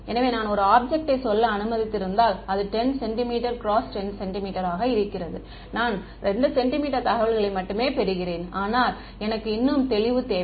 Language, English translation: Tamil, So, if I have let us say an object which is 10 centimeters by 10 centimeters, I am getting information only 2 centimeters, but maybe I need more resolution in that